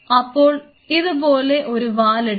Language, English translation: Malayalam, So, you have their and their tail like this